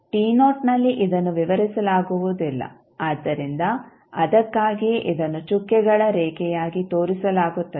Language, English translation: Kannada, At t naught it is undefined so that is why it is shown as a dotted line